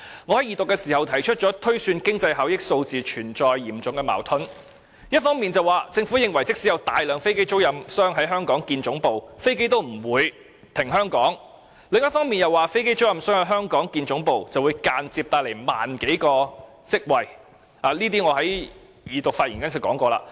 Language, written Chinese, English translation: Cantonese, 我在二讀時指出，有關經濟效益的推算存在嚴重矛盾，政府一方面表示即使有大量飛機租賃商在香港設立總部，飛機也不會停放香港，但另一方面又指飛機租賃商在香港設立總部，會間接製造1萬多個職位，而這些都是我在二讀發言時說過的。, On the one hand the Government advised that even if a large number of aircraft lessors set up their headquarters in Hong Kong none of them would park their aircrafts here . On the other hand it claimed that if aircraft lessors set up their headquarters in Hong Kong more than 10 000 jobs might be created indirectly . All these points had been mentioned in my speech during the Second Reading